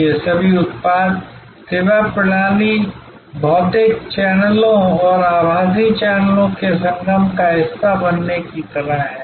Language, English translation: Hindi, All these are kind of becoming a part of a product service system, a confluence of physical channels and virtual channels